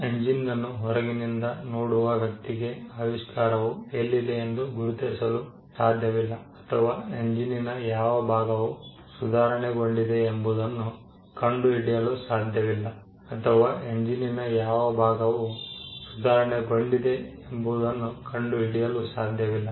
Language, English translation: Kannada, It is not possible for a person who sees the engine from outside to ascertain where the invention is, or which part of the improvement actually makes the engine better